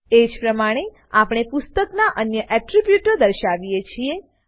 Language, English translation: Gujarati, Similarly we display other attributes of the book